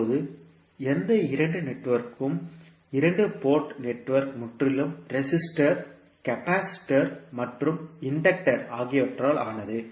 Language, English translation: Tamil, Now any two network, two port network that is made entirely of resistors, capacitors and inductor must be reciprocal